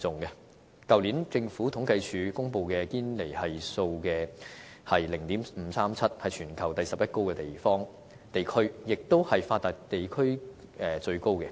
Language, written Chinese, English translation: Cantonese, 去年政府統計處公布的堅尼系數是 0.537， 是全球第十一高的地區，亦是發達地區裏最高的。, The Gini Coefficient published by the Census and Statistics Department last year was 0.537 ranking the 11 worldwide and the highest among developed regions